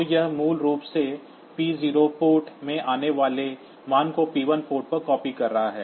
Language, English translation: Hindi, So, this is basically copying the value coming in p 0 port to the p 1 port